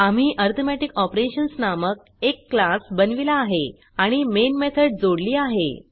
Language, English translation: Marathi, We have created a class by name Arithmetic Operations and added the main method